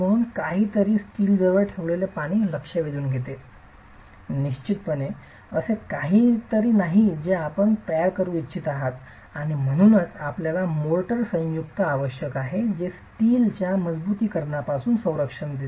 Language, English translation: Marathi, So, something that absorbs water significantly placed close to steel is definitely not something that you, a situation that you want to create and hence you need a motor joint that protects the steel from reinforcement